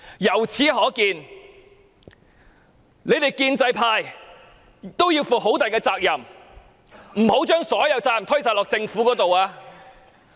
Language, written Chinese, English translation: Cantonese, 由此可見，建制派同樣要為亂局負上極大責任，不能將所有責任推卸到政府身上。, It can thus be seen that the pro - establishment camp should also be held greatly responsible for the current chaotic situation and they cannot shirk all responsibilities to the Government